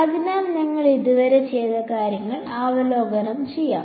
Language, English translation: Malayalam, And so, let us just review what we have done so far